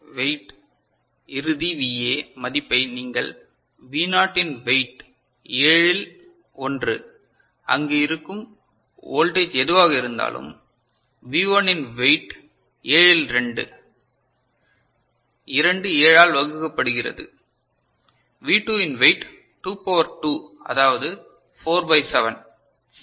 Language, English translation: Tamil, So, the weight, final the VA value you get the weight of V naught, in that is what 1 upon 7 whatever the voltage is there it is 1 upon 7, weight of V1 is 2 upon 7 2 divided by 7, weight of V2 is 2 to the power 2 that is 4 by 7 ok